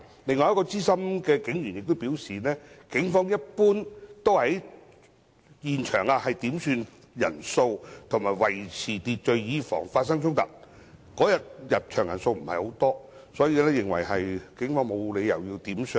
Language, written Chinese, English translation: Cantonese, 另一名資深警務人員亦表示，一般來說，警方會在現場點算人數及維持秩序，以防發生衝突，但當日入場人數不多，他認為警方沒有需要"點相"。, Another senior police officer has also indicated that generally speaking the Police would count the number of participants and maintain order at the scene to prevent conflicts . But as there were not many participants on that day he thought that the Police did not need to identify the participants